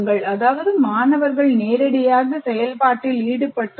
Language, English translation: Tamil, That means students are part of that, they are directly engaged with the activity